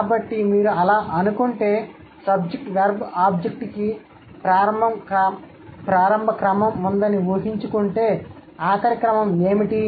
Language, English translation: Telugu, So, if you think that, so imagine SBO as the initial order, then what will be the final order